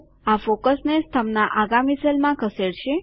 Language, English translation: Gujarati, This will shift the focus to the next cell in the column